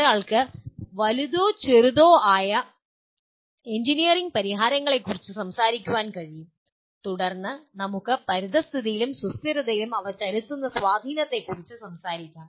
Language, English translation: Malayalam, One can talk about either bigger ones or smaller engineering solutions we can talk about and then and then talk about their impact on environment and sustainability